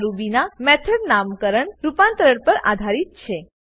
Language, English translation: Gujarati, This is based on the method naming convention of Ruby